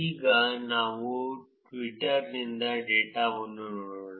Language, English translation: Kannada, Now, let us look at the data from Twitter